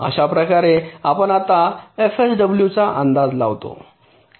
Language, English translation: Marathi, this is how we just estimate f sw